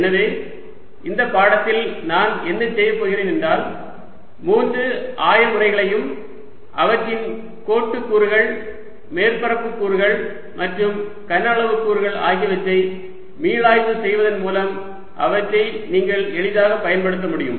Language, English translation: Tamil, so what i'll do in this lecture is just review three coordinate systems for you and their line and surface elements and volume elements, so that you can use them easily